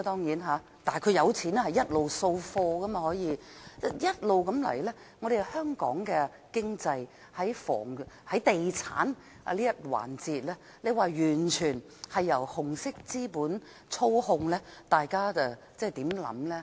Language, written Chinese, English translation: Cantonese, 如果一直是這樣的話，香港的經濟在地產這一環節便完全由紅色資本操控，大家對此有何想法呢？, If things go on like this the real estate sector in the economy of Hong Kong will be fully controlled by the red capital and what do Members think about this?